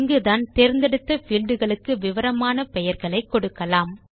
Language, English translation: Tamil, This is where we can enter descriptive names for the selected fields